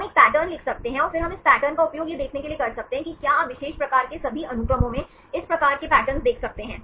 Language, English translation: Hindi, So, we can write a pattern and then we can use this pattern to see whether you can see this type of patterns in all the sequences of particular type